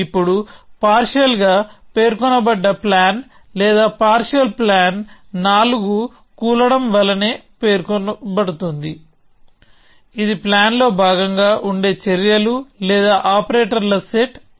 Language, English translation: Telugu, Now a partially specified plan or the partial plan is denoted as a four topple which is a set of actions or operators A which are part of the plan